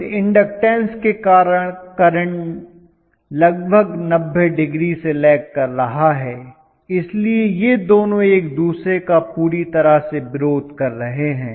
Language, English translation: Hindi, That pure inductance is going to make the current lag behind almost by 90 degrees, so these two oppose each other completely